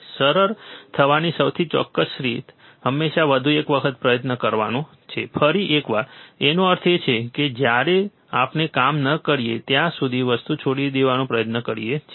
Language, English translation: Gujarati, The most certain way of to succeed is always to try just once once more one more time; that means, that we generate try to give up the thing, right when it does not work